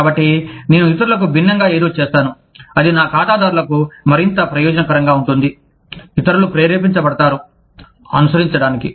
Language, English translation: Telugu, So, i do something, differently from others, that is more beneficial to my clients, that the others are motivated, to follow